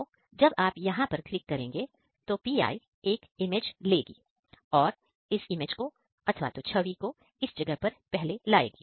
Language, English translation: Hindi, So, if you click on this place, the pi will click an image